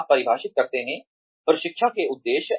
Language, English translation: Hindi, You define, the training objectives